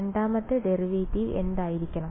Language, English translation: Malayalam, So, what will be the second derivative